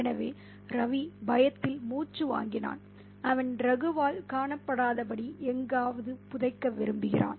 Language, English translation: Tamil, So, Ravi picks his nose in fear and he wants to burrow somewhere so that he is not spotted by Raghu